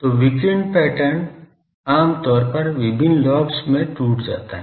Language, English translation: Hindi, So, the radiation pattern is generally broken into various lobes